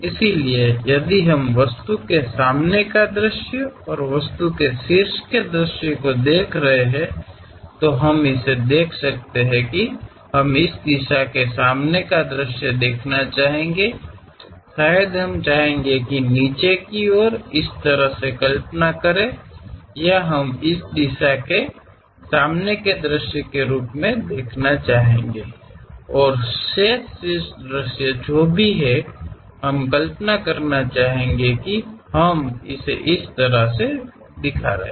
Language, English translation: Hindi, So, if we are looking at front view of the object and top view of the object, we can clearly see that; we would like to view front view in this direction, perhaps we would like to visualize from bottom side one way or we would like to view from this direction as a front view, and the remaining top view whatever we would like to really visualize that we might be showing it in that way